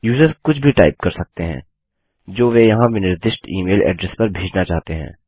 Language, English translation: Hindi, The user can type in whatever they want to send to the email address that is specified here